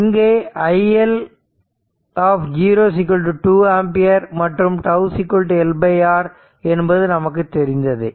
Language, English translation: Tamil, So, i 0 is equal to i L 0 is equal to 2 ampere we have seen and tau is equal to your L by R